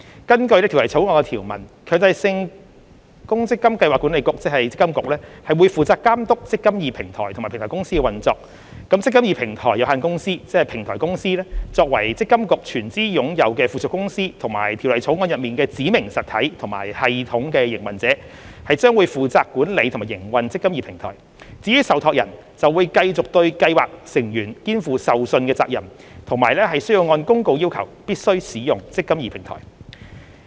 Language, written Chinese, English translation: Cantonese, 根據《條例草案》的條文，強制性公積金計劃管理局將負責監督"積金易"平台及積金易平台有限公司的運作；平台公司作為積金局全資擁有的附屬公司及《條例草案》中的"指明實體"及"系統營運者"，將負責管理和營運"積金易"平台；至於受託人，則繼續對計劃成員肩負受信責任，以及須按公告要求必須使用"積金易"平台。, According to the provisions of the Bill the Mandatory Provident Fund Schemes Authority MPFA will be responsible for overseeing the operation of the eMPF Platform and the eMPF Platform Company Limited . The Platform Company a wholly owned subsidiary of MPFA which is the specified entity and system operator under the Bill will be responsible for the management and operation of the eMPF Platform . As for trustees they will still owe fiduciary duties to scheme members and must use the eMPF Platform as required by the notice